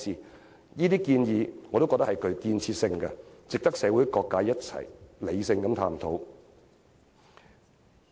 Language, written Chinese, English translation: Cantonese, 我認為這些建議均具建設性，值得社會各界一起理性探討。, I think these are productive suggestions worthy of rational exploration by various sectors in society together